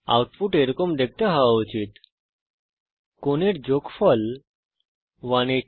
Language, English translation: Bengali, The output should look like this, Sum of the angles is 180^0